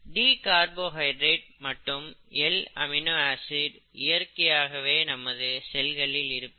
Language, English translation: Tamil, So L carbohydrates and D amino acids are not natural, usually, okay